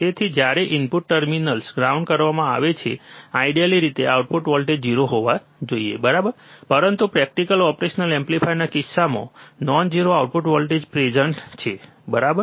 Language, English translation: Gujarati, So, when the input terminals are grounded, ideally the output voltage should be 0, right, but in case of practical operational amplifier a non 0 output voltage is present, right